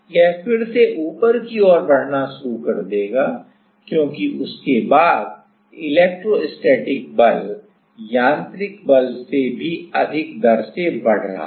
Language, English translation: Hindi, It will start again moving upward, because after that the electrostatic force is increasing even in higher rate than the mechanical force right